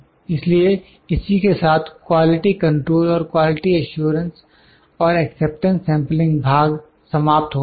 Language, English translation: Hindi, So, with this the quality control and the quality control quality assurance and acceptance sampling, this part is over